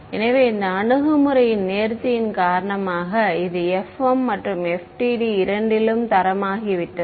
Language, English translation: Tamil, So, because of this elegance of this approach it is become standard in both FEM and FDTD